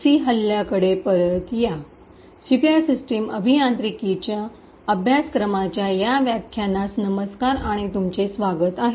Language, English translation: Marathi, Hello and welcome to this lecture in the course for Secure System Engineering